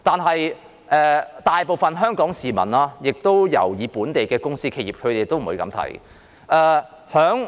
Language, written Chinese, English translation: Cantonese, 不過，大部分香港市民尤其是本地的公司或企業現在不會這樣想。, However most Hong Kong people particularly local companies or businesses now do not see it this way